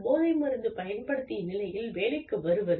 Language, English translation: Tamil, Coming to work, in a drugged condition